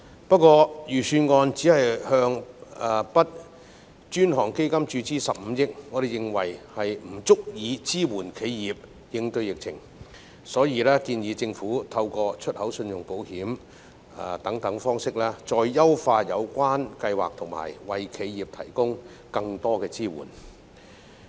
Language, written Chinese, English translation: Cantonese, 不過，預算案只向 BUD 專項基金注資15億元，我們認為不足以支援企業應對疫情，所以我們建議政府透過出口信用保險等方式，再優化有關計劃及為企業提供更多支援。, However the Budget will only inject 1.5 billion into the BUD Fund and we believe the amount is insufficient to support enterprises in responding to the epidemic situation . So we suggest the Government should further optimize the relevant scheme through export credit insurance and other methods to render enterprises stronger support